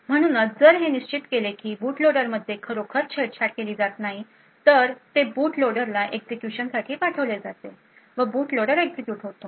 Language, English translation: Marathi, So, if it determines that the boot loader has is indeed not tampered then it would pass on execution to the boot loader and the boot loader with then execute